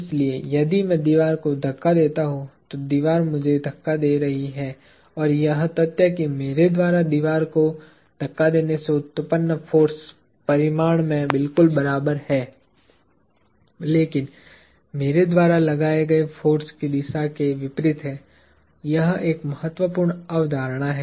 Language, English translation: Hindi, So, if I push the wall, the wall is pushing me and the fact that the force generated by me pushing the wall is exactly equal in magnitude, but opposite in direction to the force I exerted, is an important concept